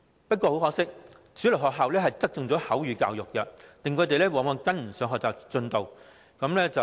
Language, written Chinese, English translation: Cantonese, 不過，很可惜，主流學校只側重口語教育，令他們往往跟不上學習進度。, Unfortunately mainstream schools attach greater importance to education in spoken language so often deaf students cannot keep up with the pace of learning